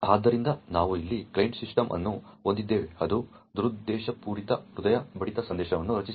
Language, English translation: Kannada, So, we have a client system over here which has created a malicious heartbeat message